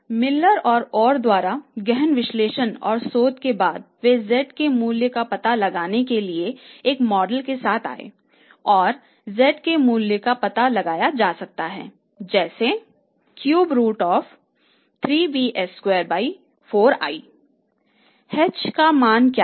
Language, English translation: Hindi, So after see thorough and the careful analysis and research by these Miller and O, they have come out with a model to find out the value of Z and the value of Z can be found out as cube root of 3 B